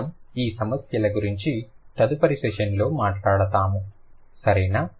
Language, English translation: Telugu, We will talk about more on these issues in the next session